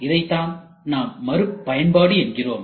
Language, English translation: Tamil, This is what we are calling it reuse right reuse